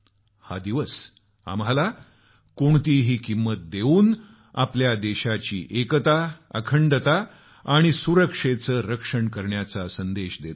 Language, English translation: Marathi, This day imparts the message to protect the unity, integrity and security of our country at any cost